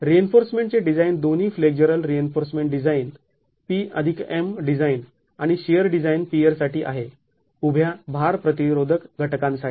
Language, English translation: Marathi, The design of reinforcement, both flexual reinforcement, the P plus M design and the shear design is for the piers, for the vertical load resisting elements